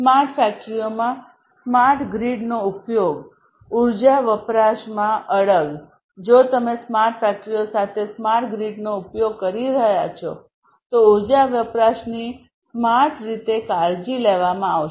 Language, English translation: Gujarati, Use of smart grid in smart factories, persistence in energy consumption; if you are using smart grid with smart factories, you know, energy consumption will be you know will be taken care of in a smarter way